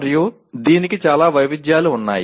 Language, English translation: Telugu, And there are many variants of this